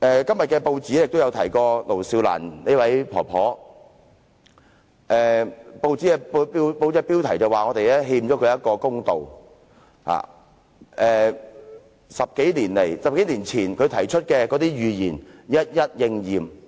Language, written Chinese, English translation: Cantonese, 今天的報章也提及盧少蘭婆婆，標題指我們欠她一個公道，因她在10多年前提出的預言，現已一一應驗。, In the newspapers today Madam LO Siu - lan was mentioned . The headline runs that we owe her a fair deal for her prophecy a dozen of years ago has now come true